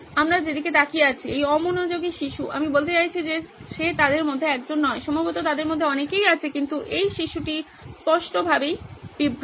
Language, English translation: Bengali, We are looking at, is this distracted child I mean he is not just one of them, there are probably many of them but this guy clearly is distracted